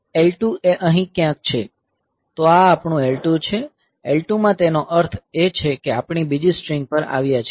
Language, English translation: Gujarati, So, L 2 is somewhere here; so this is our L 2, in L 2 that means we have come to the second string